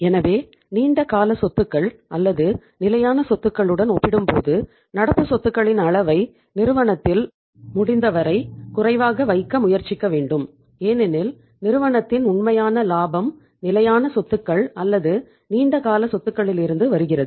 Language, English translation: Tamil, So we should try to keep the extent of current assets as low as possible in the firm as compared to the long term assets or the fixed assets because real profit of the firm comes from the fixed assets or the long term assets